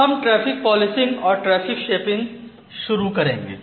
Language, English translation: Hindi, So, let us start with traffic policing and traffic shaping